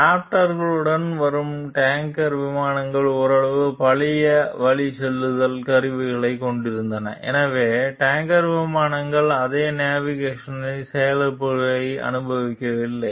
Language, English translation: Tamil, Tanker planes accompanying the Raptors had somewhat older navigation kits, so the tanker planes did not experience the same nav console crashes